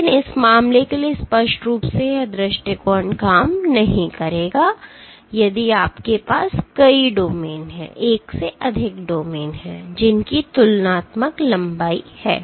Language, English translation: Hindi, But clearly for this case this approach would not work if you have multiple domains which have comparable lengths